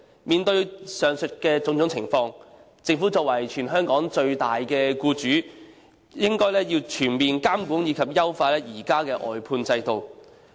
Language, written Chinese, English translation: Cantonese, 面對上述種種情況，政府作為全港最大的僱主，應全面監管及優化現時的外判制度。, In view of these situations the Government being the biggest employer in Hong Kong should comprehensively supervise and improve the existing outsourcing system